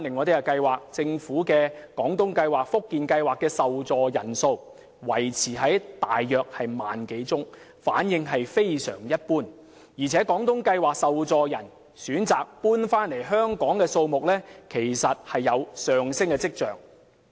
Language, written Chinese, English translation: Cantonese, 再看政府的廣東計劃及福建計劃，受助人數維持約 10,000 多宗，反應非常一般，而且廣東計劃的受助人選擇遷回香港的數目其實有上升跡象。, Meanwhile let us take a look at the Guangdong Scheme and the Fujian Scheme provided by the Government . The number of beneficiaries of the two schemes remains at a level of 10 000 or so indicating a lukewarm response . There is even an upward trend for the Guangdong Scheme beneficiaries to return to Hong Kong